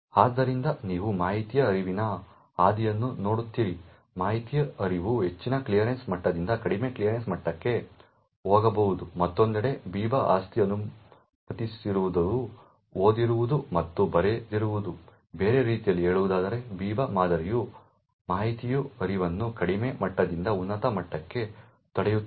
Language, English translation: Kannada, So you see the path of information flow, information flow can go from a higher clearance level to a lower clearance level on the other hand what the Biba property does not permit is the no read up and the no write up, in other words the Biba model would prevent information flow from a lower level to a higher level